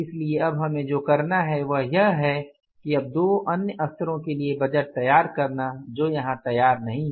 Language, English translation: Hindi, So, what you have to do is now that to prepare the budget for the two other levels which is not prepared here